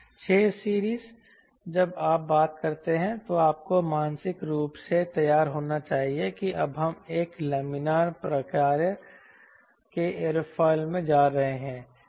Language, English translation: Hindi, the six series when you talk about you should be mentally prepared that we are now going into a laminar type of aerofoil